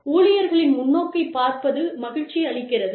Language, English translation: Tamil, It is nice to see, the employee's perspective